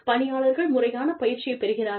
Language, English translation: Tamil, The employees are trained properly